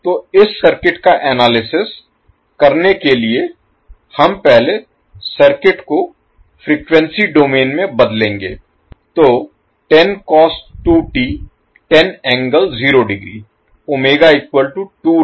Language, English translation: Hindi, So to analyze this particular circuit we will first transform the circuit into frequency domain